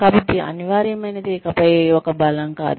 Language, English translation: Telugu, So, being indispensable is no longer a strength